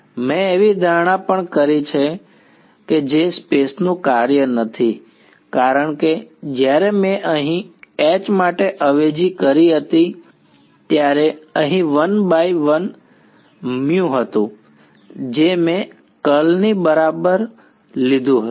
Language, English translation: Gujarati, I have also made the assumption that mu is not a function of space, because when I substituted for H over here there was a one by mu over here which I took outside the curl right